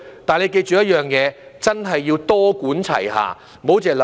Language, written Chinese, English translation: Cantonese, 不過，你要記着一點，真的要多管齊下，不要只想一方面。, However you have to remember one point that is the authorities should adopt a multi - pronged approach rather than focusing on a single aspect